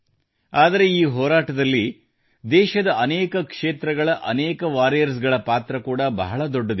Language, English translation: Kannada, But there also has been a very big role in this fight displayed by many such warriors across the country